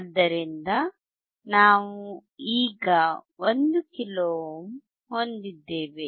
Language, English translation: Kannada, So, we have now 1 kilo ohm